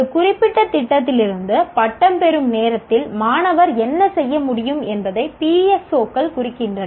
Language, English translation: Tamil, PSOs represent what the student should be able to do at the time of graduation from a specific program